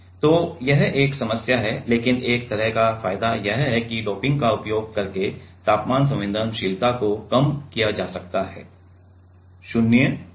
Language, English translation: Hindi, So, that is one problem, but an one kind of advantage is there is the temperature sensitivity can be reduced by using 0 doping